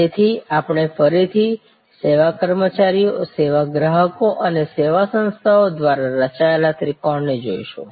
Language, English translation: Gujarati, So, again we will look at the triangle, the triangle constituted by service employees, service consumers and service organizations